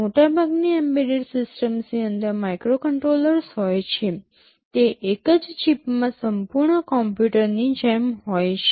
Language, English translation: Gujarati, Most of the embedded systems have microcontrollers inside them, they are like a complete computer in a single chip